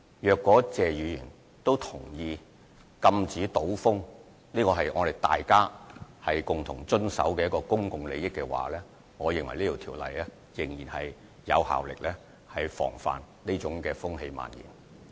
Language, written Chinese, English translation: Cantonese, 如果謝議員也同意禁止賭風是大家共同維護公共利益，我認為《賭博條例》仍然有效防範這種風氣蔓延。, If Mr TSE also agrees that deterring gambling is a public interest that we defend I think the Gambling Ordinance is still effective in preventing the spread of this atmosphere